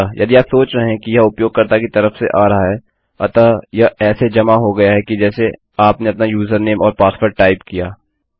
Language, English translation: Hindi, So if you imagine these are coming from the user so it has been submitted as you typed your username and password in